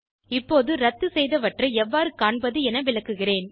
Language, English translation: Tamil, I will now explain how to see the history of cancellation